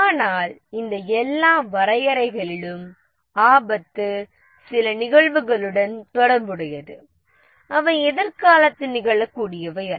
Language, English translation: Tamil, But in all these definitions, the risk relate to some events that may occur in the future, not the current ones